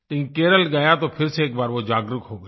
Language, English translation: Hindi, When I went to Kerala, it was rekindled